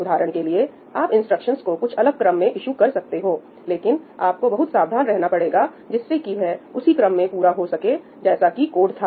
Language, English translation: Hindi, For instance, you can issue instructions in different order, but you have to be very careful that they complete in the order in which the code appears